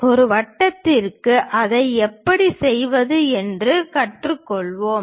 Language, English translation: Tamil, How to do that for a circle let us learn that